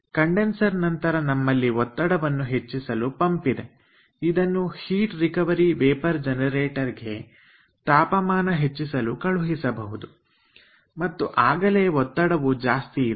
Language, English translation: Kannada, after the condenser we have the pump for raising the pressure so that it can be sent to the ah heat recovery vapour generator to generate, to generate ah um high temperature and high